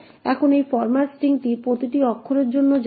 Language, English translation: Bengali, Now this goes on for each character the format string